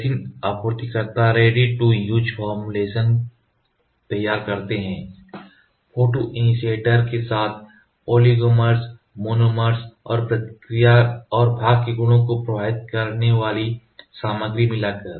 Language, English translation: Hindi, Resin supplier creates ready to use formulation by mixing the oligomers and monomers with the photoinitiators, as well as the other materials to affect reaction rate and part properties